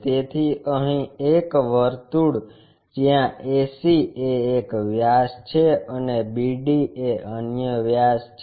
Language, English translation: Gujarati, So, here a circle where ac is one of the diameter and bd is the other diameter